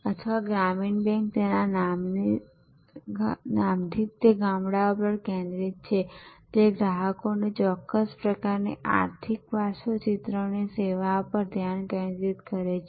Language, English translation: Gujarati, So, Gramin Bank by it is very name it is focused on villages, it is focused on serving particular type of economic profile of customers